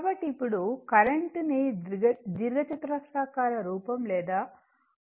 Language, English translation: Telugu, So now, expressing the current in rectangular or polar form right